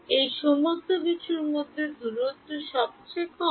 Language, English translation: Bengali, Of all of these things which of the distances is the shortest